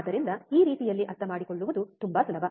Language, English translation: Kannada, So, this way this very easy to understand